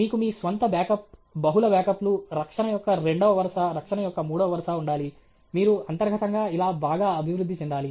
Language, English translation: Telugu, You should have your own back up, multiple backups, second line of defense, third line of defense, you should internally evolve all this alright